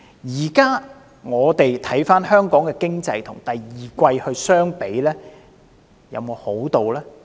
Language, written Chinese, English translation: Cantonese, 現在我們回看香港的經濟，跟第二季相比，有沒有好轉呢？, Looking back at the Hong Kong economy has the economy improved when compared with the second quarter of this year?